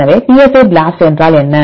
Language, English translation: Tamil, So, what is psi BLAST